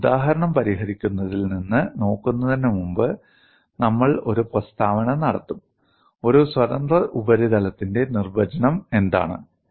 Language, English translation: Malayalam, And before we look at from a solving an example, we would just make a statement, what is a definition of free surface